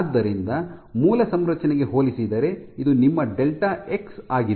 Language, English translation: Kannada, So, compared to the original configuration this is your delta x